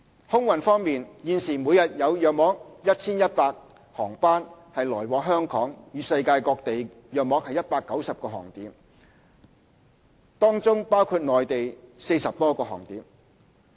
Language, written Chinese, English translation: Cantonese, 空運方面，現時每日有約 1,100 航班來往香港與世界各地約190個航點，當中包括內地40多個航點。, On aviation currently there are about 1 100 daily flights connecting Hong Kong to around 190 destinations worldwide including some 40 destinations in the Mainland